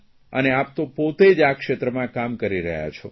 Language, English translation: Gujarati, You are yourself working in this field